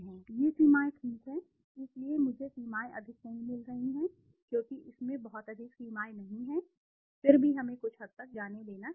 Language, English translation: Hindi, These limitations are okay, so I am not getting the limitations much because there is not much of limitations in this, still let us go to a few